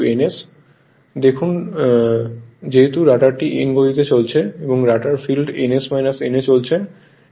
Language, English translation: Bengali, Look at that since the rotor is running at a speed n right and the rotor field at ns minus n right